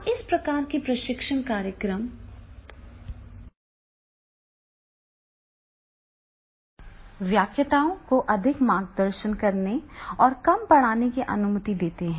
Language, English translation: Hindi, Now this type of the training programs allows lectures to guide more, teach less